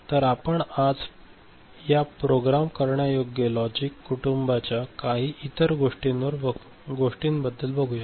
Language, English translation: Marathi, So, today we shall look at some other variety of this programmable logic family